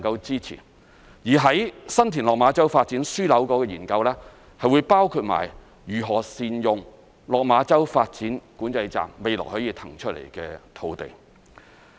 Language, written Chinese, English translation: Cantonese, 在新田/落馬洲發展樞紐的研究，將會包括如何善用落馬洲邊境管制站未來可以騰出的土地。, The study concerning the San TinLok Ma Chau Development Node will include how to make better use of the vacated site of the existing Lok Ma Chau Control Point